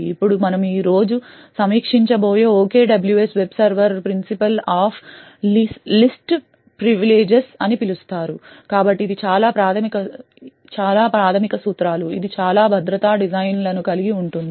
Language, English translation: Telugu, Now the OKWS web server which we will review today is based on something known as the Principle of Least Privileges, so this is a very fundamental principle which covers a lot of security designs